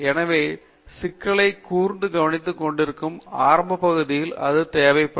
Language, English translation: Tamil, So, the initial part where you are still focusing down the problem may be lot more interactive